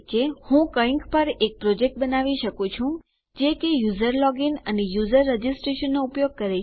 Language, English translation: Gujarati, I might create a project on something that uses a user login and user registration